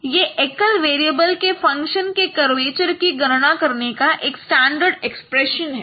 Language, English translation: Hindi, This is a very standard expression of computing curvature for a function of one very one single variable